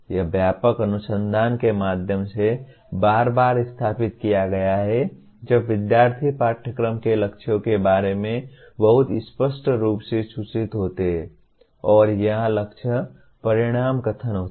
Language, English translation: Hindi, This has been repeatedly established through extensive research the students learn lot better when they are informed very clearly about the goals of the course and here the goals are outcome statements